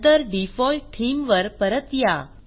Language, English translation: Marathi, See the Default Theme here